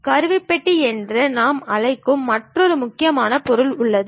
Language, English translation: Tamil, And there is another important object which we call toolbar